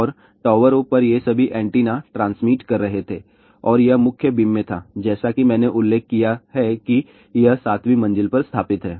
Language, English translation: Hindi, And all these antennas on the towers were transmitting and this being in the main beam and as I mentioned that this is installed on the seventh floor